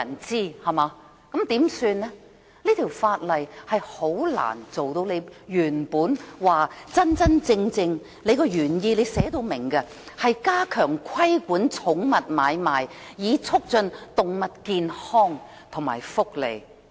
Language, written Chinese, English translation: Cantonese, 這項修訂規例難以達到局方的原意，即加強規管寵物買賣，以促進動物健康和福利。, What is to be done then? . It is unlikely that this Amendment Regulation will meet the Bureaus original intent of enhancing animal health and welfare by stepping up the regulation on pet trading